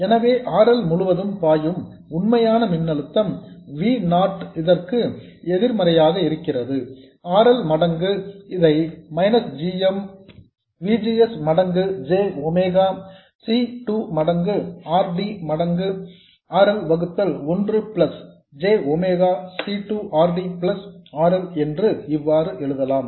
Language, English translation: Tamil, So the actual voltage across RL V0 is negative of this times RL, which can be written as minus GMVGS times JMEA c2 times RD times RL divided by 1 plus J omega C2 RD plus RL